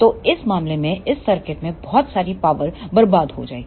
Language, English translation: Hindi, So, in this case the lot of power will be wasted in this circuit